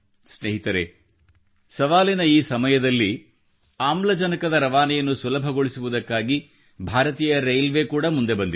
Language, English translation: Kannada, Friends, at this very moment of challenge, to facilitate transportation of oxygen, Indian Railway too has stepped forward